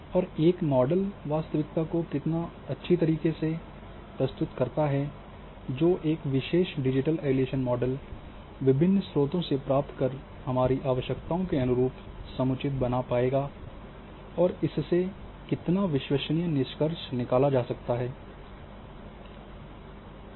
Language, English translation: Hindi, And how well a model represents the reality which particular digital elevation model derived from variety of sources will fit to our requirements and how reliable the conclusions are which can be drawn from the model